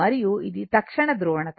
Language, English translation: Telugu, And it is instantaneous polarity